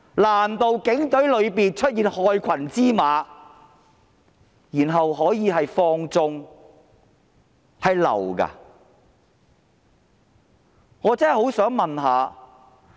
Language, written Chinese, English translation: Cantonese, 在警隊內出現害群之馬，然後情況可以被放縱，難道這是假的嗎？, When there is black sheep in the Police and then the situation can even be condoned could this be fake?